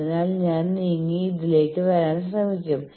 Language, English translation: Malayalam, So, I will move and try to come to this